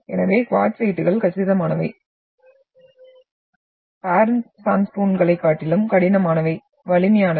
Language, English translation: Tamil, So quartzites are compact, hard and strong than the parent sandstone also